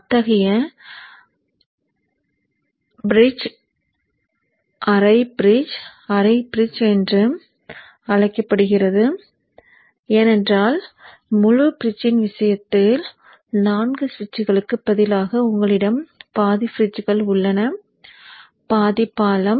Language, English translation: Tamil, Half bridge because you have instead of four switches in the case of the full bridge, you have half the number of bridges and therefore the half bridge